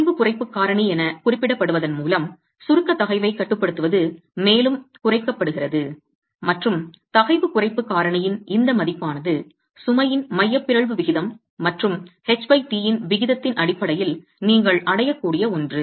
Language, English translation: Tamil, That limiting compressive stress is further reduced by what is referred to as a stress reduction factor and this value of the stress reduction factor is something that you can arrive at based on the eccentricity ratio of the load and the H